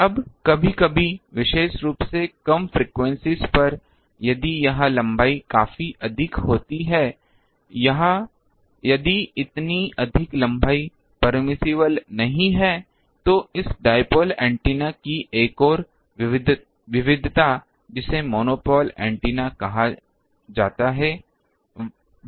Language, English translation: Hindi, Now, sometimes in particularly at lower frequencies if this length is quite ah high ah if the such a high ah length is not permissible, another variety of this dipole antenna which is called monopole antenna is also there